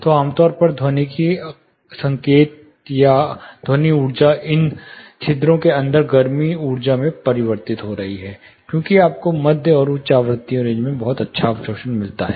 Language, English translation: Hindi, So, typically the acoustic signal or the sound energy is getting converted into heat energy inside these porous, because of which you get very good absorption in the mid and high frequency ranges